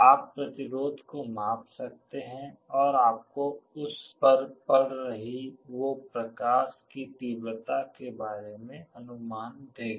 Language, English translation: Hindi, You can measure the resistance that will give you an idea about the intensity of light that is falling on it